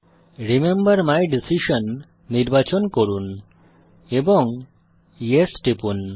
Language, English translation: Bengali, Select remember my decision and click Yes